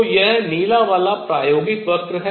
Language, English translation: Hindi, So, this is the experimental curve the blue one